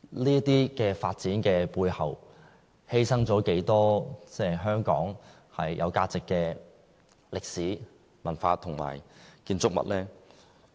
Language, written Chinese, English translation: Cantonese, 這些發展的背後，犧牲了多少香港有價值的歷史、文化和建築物呢？, How many buildings of historic and cultural values are scarified in the course of these developments?